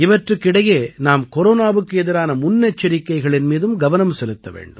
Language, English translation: Tamil, In the midst of all this, we also have to take precautions against Corona